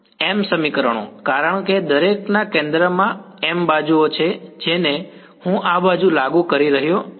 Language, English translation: Gujarati, m equations because there are m edges at the center of each I am enforcing this side